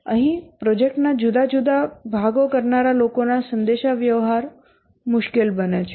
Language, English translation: Gujarati, So here communication of those who do the different parts of the project become difficult